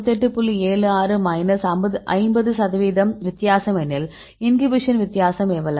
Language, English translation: Tamil, 76 right minus 50 percent of the difference how much they are the inhibition